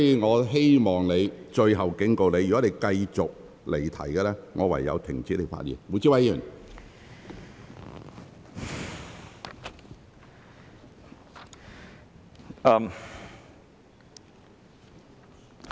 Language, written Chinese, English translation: Cantonese, 我最後警告你，如果你繼續離題，我會停止你的發言。, This is my last warning to you . If you continue to digress from the subject I will stop you from speaking